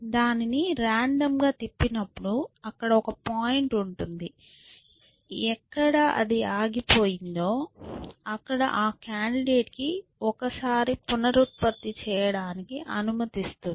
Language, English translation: Telugu, And we just sort of rotate it randomly and we have a some pointer, where ever it stops that candidate gets to reproduce once